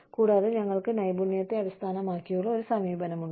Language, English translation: Malayalam, And, we have a skill based approach